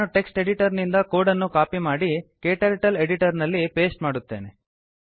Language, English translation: Kannada, Let me copy the code from the text editor and paste it into KTurtle editor